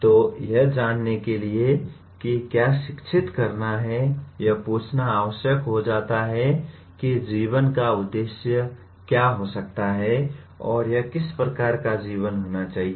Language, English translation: Hindi, So to know what to educate, it becomes necessary to ask what can be the purpose of life and what sort of life it should be